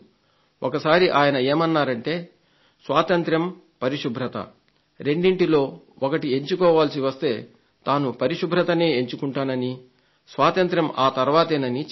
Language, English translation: Telugu, He once said, "if I have to choose between freedom and cleanliness, I will choose cleanliness first and freedom later"